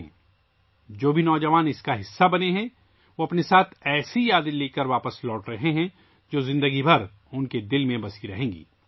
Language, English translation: Urdu, All the youth who have been a part of it, are returning with such memories, which will remain etched in their hearts for the rest of their lives